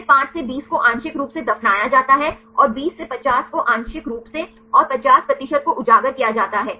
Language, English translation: Hindi, Then 5 to 20 as partially buried and 20 to 50 is partially exposed and 50 percent is exposed